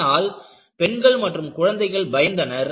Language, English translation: Tamil, Women and children will be annoyed